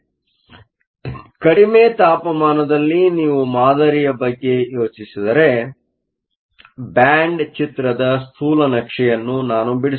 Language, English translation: Kannada, So, at low temperatures, if you think about the model so, let me draw schematic of the band diagram